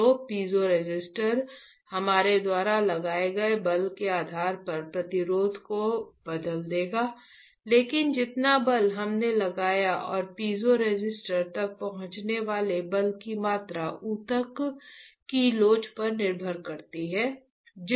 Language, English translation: Hindi, So, the piezoresistor will change the resistance based on the force that we have applied, but the amount of force that we applied and amount of force reaching the piezoresistor depends on the elasticity of the tissue, is not it